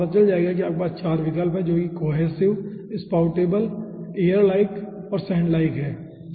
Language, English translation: Hindi, so you will be finding out you are having 4 options: cohesive, spoutable, airlike and sandlike